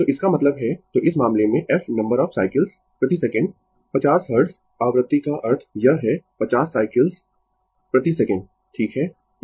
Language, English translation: Hindi, So that means, so in this case, the f is the number of cycles per second 50 hertz frequency means it is 50 cycles per second, right